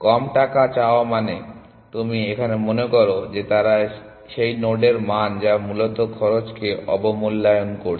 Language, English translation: Bengali, Charge less essentially which means that you think that they are that value of that node is underestimating the cost essentially